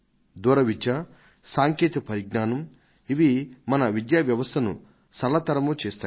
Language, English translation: Telugu, Long distance education and technology will make the task of education simpler